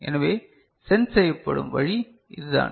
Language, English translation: Tamil, So, this is the way it is sensed